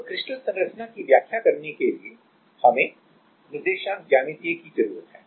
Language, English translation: Hindi, So, to explain crystal structure; we need to get held from the coordinate geometry